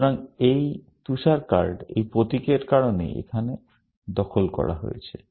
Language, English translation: Bengali, So, this snow card is captured here, because of this symbol